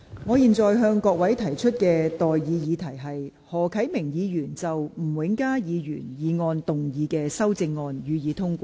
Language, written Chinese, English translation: Cantonese, 我現在向各位提出的待議議題是：何啟明議員就吳永嘉議員議案動議的修正案，予以通過。, I now propose the question to you and that is That the amendment moved by Mr HO Kai - ming to Mr Jimmy NGs motion be passed